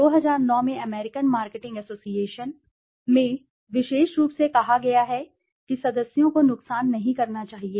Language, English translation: Hindi, The American Marketing Association in 2009, it has research related issues and specifically states that the members must do not harm